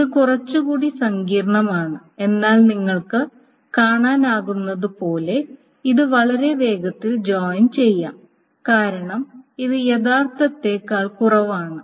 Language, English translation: Malayalam, A little bit more complicated but as you can see this is going to be a much faster join because these are lesser attributes, etc